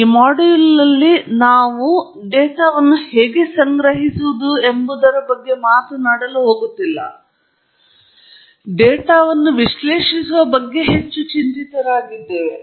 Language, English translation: Kannada, In this module, of course, we are not going to talk about how to collect data, the techniques of sampling and so on; we are more worried about analyzing data